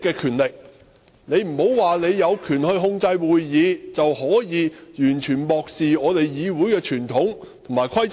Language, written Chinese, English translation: Cantonese, 你不能說你有權控制會議，便可以完全漠視議會的傳統和規則。, You cannot say you have the power to control the meeting and so you can turn a blind eye to the convention and rules of the Council